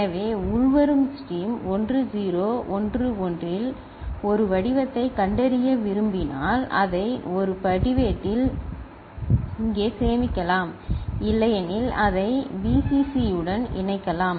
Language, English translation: Tamil, So, for example if we want to detect a pattern in the incoming stream 1 0 1 1 we can store it over here in a register, otherwise we can connect it to Vcc